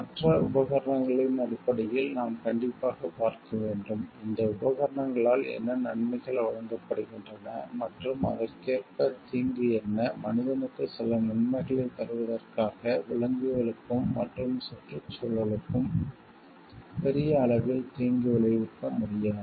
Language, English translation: Tamil, In terms of other equipments we have to definitely see: what is the benefit that is given by this equipments and what are the corresponding harm provided, in order to bring some benefit to the human, we cannot provide harm to the animals and to the environment at large